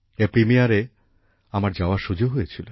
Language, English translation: Bengali, I got an opportunity to attend its premiere